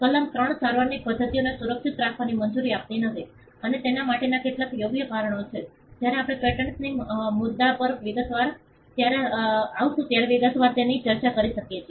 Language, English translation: Gujarati, Section 3 does not allow methods of treatment to be protected and there are some sound reasons for that, when we come across when we come to the issue of patents in detail, we can discuss that